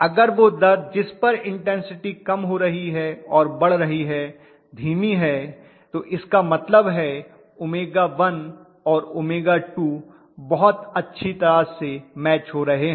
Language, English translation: Hindi, If he rates at which the intensity is decreasing and increasing is slow that means I have almost matched omega 1 and omega 2 very very well